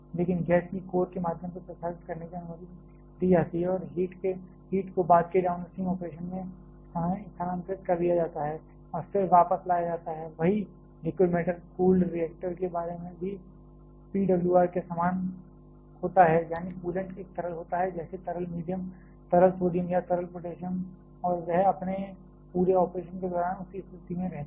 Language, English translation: Hindi, But gas is allowed to circulate through the core and transfer the heat to subsequent downstream operation and then come back again, same about liquid metal cool reactor there also similar to PWR, that is the coolant is a liquid one, like liquid sodium or liquid potassium and that remains in that same state throughout its operation